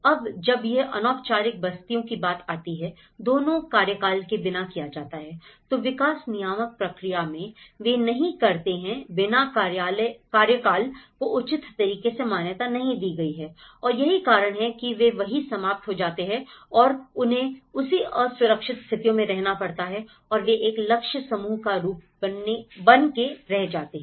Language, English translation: Hindi, Now, when it comes to the informal settlements, there are both tenure done without tenure, so in many of the development regulatory process, they don’t, without tenure has not been recognized in a proper way and that is the reason they end up living there and those unsafe conditions and they end up being a target groups